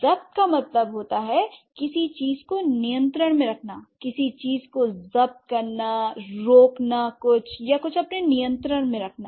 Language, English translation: Hindi, That means to get something under control, to seize something, to stop something or to have something under your control